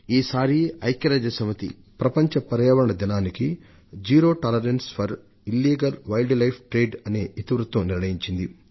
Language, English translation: Telugu, This time on the occasion of World Environment Day, the United Nations has given the theme "Zero Tolerance for Illegal Wildlife Trade"